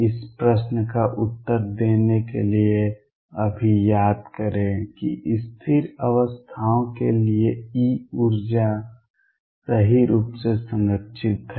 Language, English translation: Hindi, Recall now to answer this questions that for stationary states E the energy is conserved right